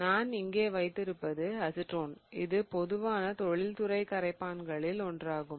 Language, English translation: Tamil, So, what I have here is acetone and acetone as you can imagine is one of the most common industrial solvents